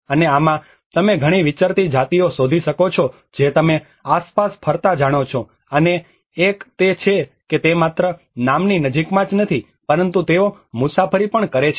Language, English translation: Gujarati, \ \ And in this, you can find many nomadic tribes you know roaming around and one is it is also just not only in the name proximity but they do travel